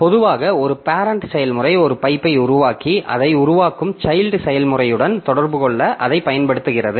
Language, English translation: Tamil, Typically a parent process creates a pipe and uses it to communicate with child process that it created